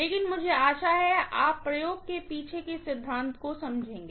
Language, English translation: Hindi, But I hope you understand the principle behind the experiment